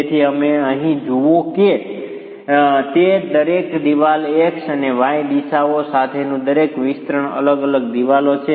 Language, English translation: Gujarati, So, each wall that you see here, each extension along the X and the Y directions are different walls